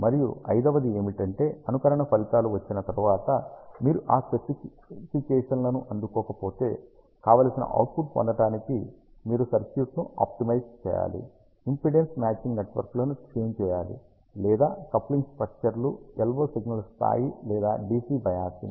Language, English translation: Telugu, And the fifth one is if you do not need those specifications after simulation results are out, then you have to optimize the circuit, you have to tune the impedance matching networks or the coupling structures the yellow signal level or the DC biasing to get the desired output